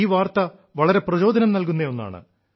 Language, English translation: Malayalam, This news is very inspiring